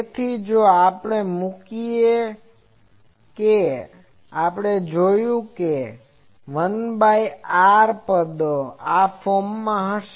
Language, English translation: Gujarati, So, if we put that we will see that 1 by r terms they will be of this form